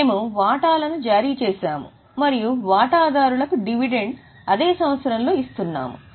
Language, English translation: Telugu, We have issued shares and we are giving dividend to the shareholders